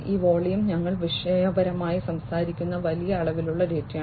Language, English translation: Malayalam, This volume is large volumes of data we are topically talking about